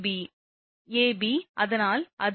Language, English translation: Tamil, ab so it is a